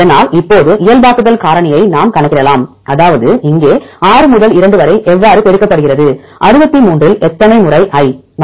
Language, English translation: Tamil, So, now, we can calculate normalizing factor, that is same as here 6 into 2 multiplied by how many out of 63 how many I’s